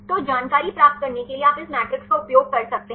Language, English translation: Hindi, So, you can use this matrix to get the information